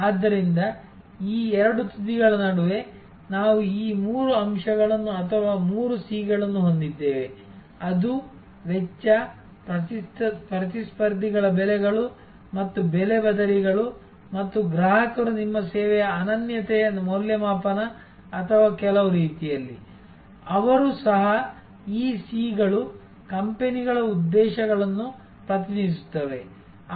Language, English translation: Kannada, So, between these two ends, we have this three elements or three C’S as we often call them; that is cost, competitors prices and price substitutes and customers assessment of the uniqueness of your service or in some way, they also these C’S stands for the companies objectives and so on